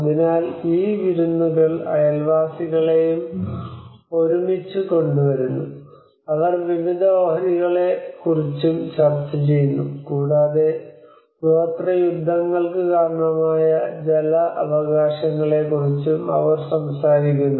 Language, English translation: Malayalam, So these feasts also brings the neighbours together they also discuss various stocks, and they also talks about the water rights understandably have been the cause of tribal wars